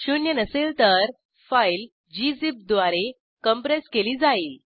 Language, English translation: Marathi, If not zero, the file will be compressed using gzip